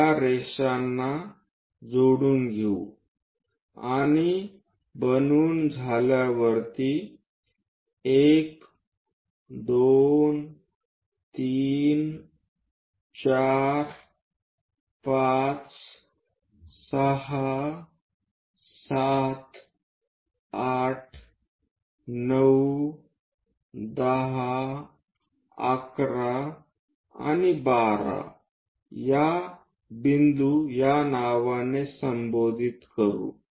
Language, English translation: Marathi, Let us join these lines and the last line this once constructed name it 1, 2, 3, 4, 5, 6, 7, 8, 9, 10, 11 and 12 points